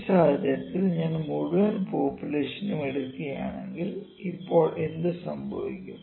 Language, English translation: Malayalam, But if I take the whole universe the whole population in this case now what happens